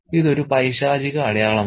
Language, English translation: Malayalam, It's an evil sign